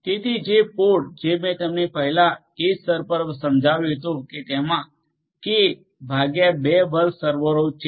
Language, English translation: Gujarati, So, the pod which I explained to you earlier at the edge tier consists of k by 2 square servers